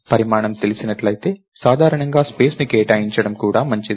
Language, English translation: Telugu, If the size is known, its generally also good to go and allocate the space